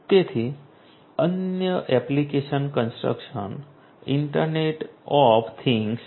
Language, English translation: Gujarati, So, another application is the construction internet of things